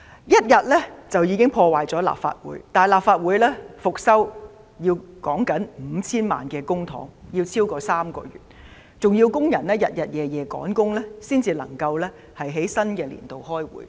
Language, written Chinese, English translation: Cantonese, 一天便已破壞立法會，但立法會復修需費 5,000 萬元公帑，需時超過3個月，更要工人日夜趕工才能在新會期開會。, In just one day the Legislative Council Complex was in ruins . But the repairs of the Legislative Council cost 50 million of public coffers and took more than three months to complete . Workers had to work against the clock day and night in order for meetings to be resumed in the new Session